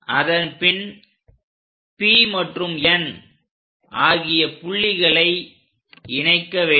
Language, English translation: Tamil, Now, join P point and N point